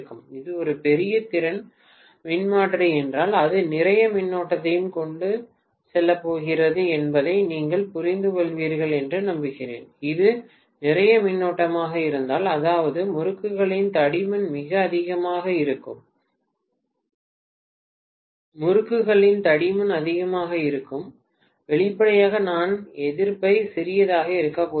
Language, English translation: Tamil, I hope you understand if it is a large capacity transformer it is going to carry a lot of current also, if it is a lot of current that means the thickness of the windings will be very very high, the thickness of the windings is high, obviously I am going to have the resistance to be smaller